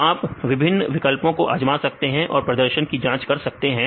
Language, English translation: Hindi, So, you can try various options and you can see the performance